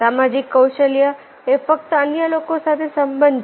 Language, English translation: Gujarati, social skill is simply bonding with others